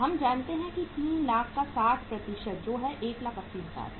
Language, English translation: Hindi, We know that 60% of 3 lakhs is the 180,000